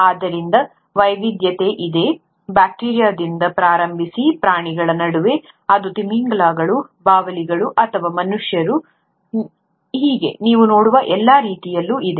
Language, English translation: Kannada, So, there is diversity, starting all the way from bacteria to what you see among animals, whether it is the whales, the bats, or the human beings